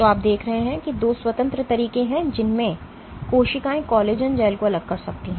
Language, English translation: Hindi, So, you see that there are two independent ways in which you can in which cells can different collagen gels